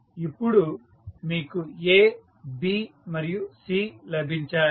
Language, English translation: Telugu, So, now you have got A, B and C